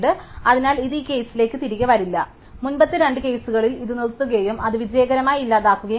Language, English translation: Malayalam, So, it will not come back to this case it will just stop at the earlier two cases and it will get successfully deleted